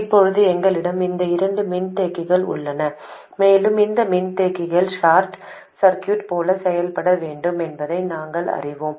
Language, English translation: Tamil, Now we have these two capacitors and we know that we want these capacitors to behave like short circuits